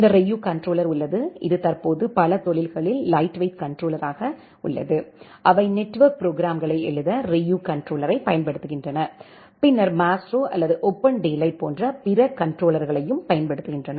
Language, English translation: Tamil, There is this Ryu controller, which is a lightweight controller currently many industries, they are utilizing Ryu controller to write network programs and then other controllers like Maestro or OpenDaylight